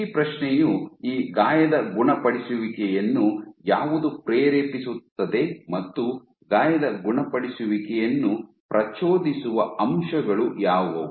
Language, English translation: Kannada, So, the question is that what drives this wound healing what are the factors that trigger wound healing